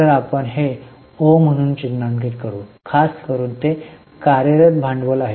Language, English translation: Marathi, So, we will mark it as O, particularly it is a working capital item